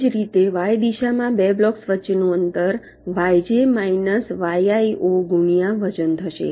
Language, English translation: Gujarati, similarly, in the y direction, distance between the two blocks will be yj minus yi zero multiplied by weight